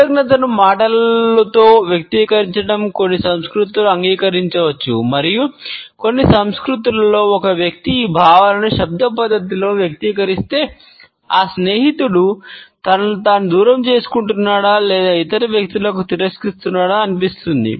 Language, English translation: Telugu, Expressing gratitude verbally may seem formal and impersonal in certain cultures and in certain cultures if a friend expresses these feelings in a verbal manner, it would be perceived as if the friend is either distancing himself or is rejecting the other people